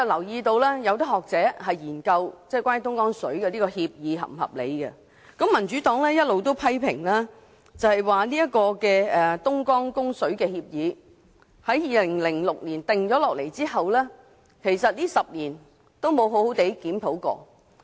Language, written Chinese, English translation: Cantonese, 有學者曾研究有關供水協議是否合理；民主黨亦一直批評這份供水協議自2006年制訂後，在10年間也未曾好好檢討。, A scholar has conducted a research on the reasonableness of the Agreement . The Democratic Party has also been criticizing the Agreement for its lack of proper review in the past 10 years since its formulation in 2006